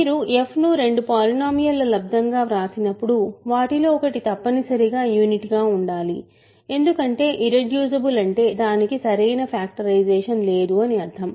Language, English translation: Telugu, When you write it as a product of; when you write f as a product of two other polynomials, one of them must be a unit because irreducible means it has no proper factorization